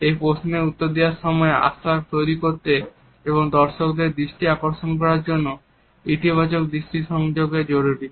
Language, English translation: Bengali, While answering these questions it is important to have a positive eye contact to build trust and engage the attention of the audience